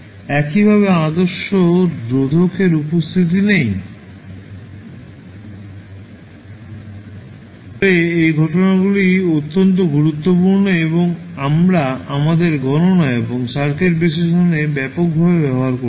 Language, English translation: Bengali, Similarly, ideal resistor does not exist but as these phenomena are very important and we used extensively in our calculations and circuit analysis